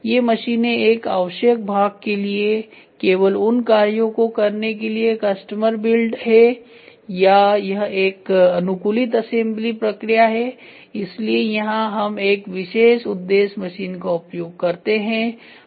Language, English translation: Hindi, These machines are custom build for doing only those operations for a required part or it is a customised assembly process so, where we use a special purpose machine ok